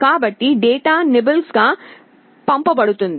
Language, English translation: Telugu, So, data are sent as nibbles